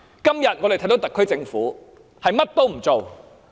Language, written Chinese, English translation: Cantonese, 相反，我們今天看到特區政府甚麼也不做。, On the contrary we see that the SAR Government is currently doing nothing